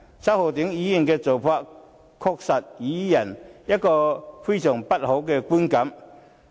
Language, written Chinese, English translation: Cantonese, 周浩鼎議員的做法，確實予人非常不好的觀感。, Mr Holden CHOWs acts have indeed created a negative public impression